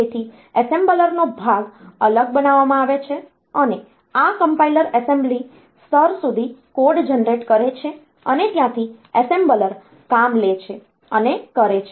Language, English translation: Gujarati, So, assembler part is made separate, and this compiler so, they generate code up to this assembly level up to this assembly level and from that point on wards assembler takes up and does the thing